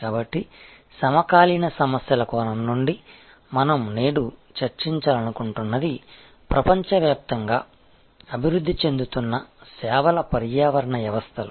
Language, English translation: Telugu, So, from the contemporary issues perspective, what we want to discuss today is the emerging ecosystems of services around the world